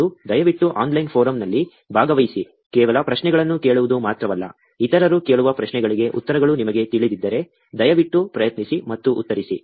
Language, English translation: Kannada, And, please participate also in the online forum, not just only asking questions; if you know the answers for the questions that others are asking, please try and answer them also